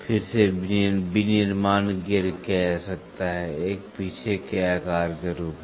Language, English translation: Hindi, Again, manufacturing gear can be done, one as a back size can be done many as back size